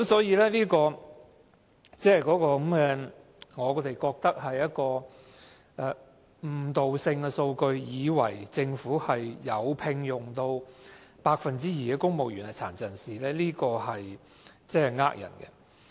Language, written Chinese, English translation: Cantonese, 因此，我認為這是誤導性的數據，令人以為政府的公務員隊伍有 2% 是殘疾人士，但這是騙人的。, Therefore I think the relevant figure misleading as it gives people an impression that PWDs represented 2 % of the strength of the Civil Service which is deceiving